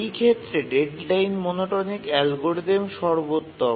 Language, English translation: Bengali, For these cases, the deadline monotonic algorithm is the optimal